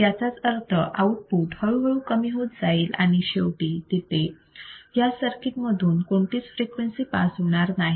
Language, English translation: Marathi, That means, the output you will see is slowly fading down, and finally, there will be no frequency that can pass through this particular circuit